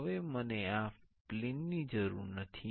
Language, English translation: Gujarati, Now, I do not need this plane